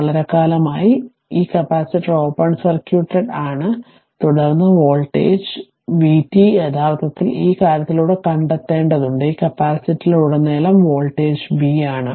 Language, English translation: Malayalam, And for long time, that means this capacitor is open circuited, and then voltage your this voltage v t actually you have to find out across with your this thing this this is the voltage B across the capacitor